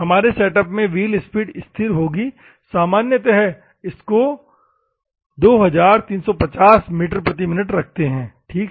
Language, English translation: Hindi, So, wheel speed will be constant in the experimental setup, that we have normally the wheel speed is 2350 meters per minute, ok